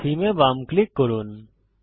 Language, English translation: Bengali, Release left click